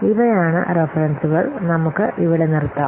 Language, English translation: Malayalam, So, these are the references